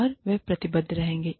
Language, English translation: Hindi, And, they will remain, committed